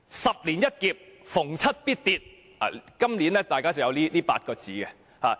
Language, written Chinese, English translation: Cantonese, "十年一劫，逢七必跌"，今年出現了這8個字。, This year we come across the saying that A crisis in every decade plunges come in the year with the number seven